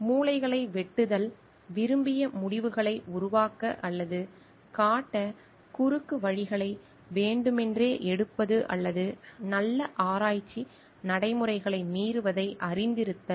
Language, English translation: Tamil, Cutting corners, intentionally taking shortcuts to produce or show desired results or knowing violating good research practices